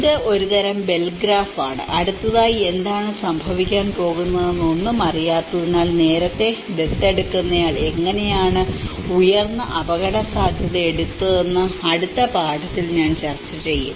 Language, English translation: Malayalam, It is a kind of Bell graph, which I will discuss in the further lesson where how the early adopter he takes a high risk because he does not know anything what is going to happen next